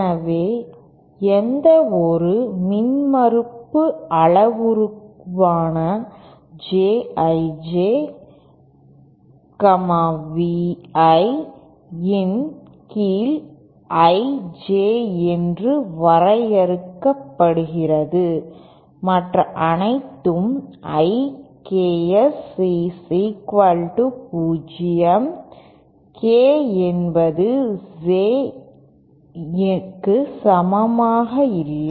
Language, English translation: Tamil, So any impedance parameter J I J is defined as V I upon I J with all other I Ks equal to 0, k not equal to J